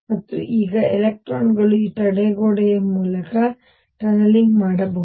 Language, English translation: Kannada, And now electrons can tunnel through this barrier